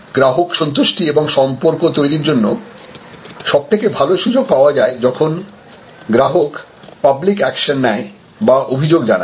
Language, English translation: Bengali, And the most important asset or a good source for creating customer satisfaction and customer relationship is when customer takes public action, when customer complaints